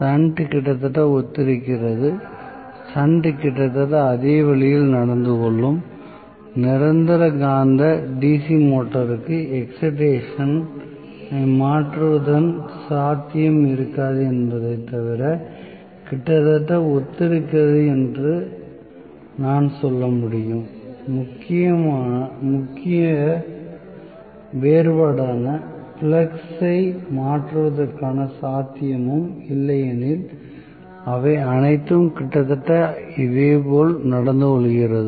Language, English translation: Tamil, Shunt is almost similar, so, shunt will behave almost in the same way; and I can say permanent magnet DC motor is also almost similar except that it will have no possibility of changing the excitation, no possibility of changing the flux that is the major difference; otherwise all of them behave almost similarly